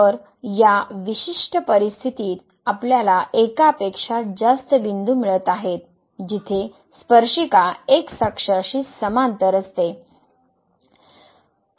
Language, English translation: Marathi, So, in this particular situation we are getting more than one point where the tangent is parallel to the